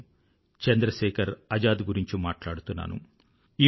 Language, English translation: Telugu, I am talking about none other than Chandrasekhar Azad